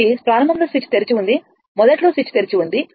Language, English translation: Telugu, So, initially switch was open switch was initially switch was open